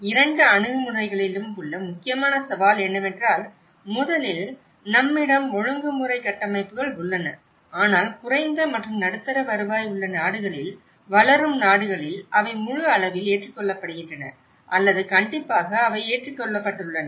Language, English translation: Tamil, The important challenge in both the approaches is, first of all, we do have the regulatory frameworks but in the developing countries under low and middle income countries to what extend they are adopted in a full scale or strictly they have been adopted